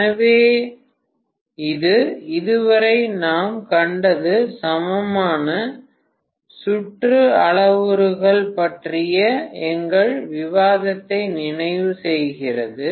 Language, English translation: Tamil, So this completes our discussion on what we had seen so far is equivalent circuit parameters, right